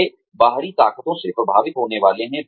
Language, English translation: Hindi, They are going to be influenced by external forces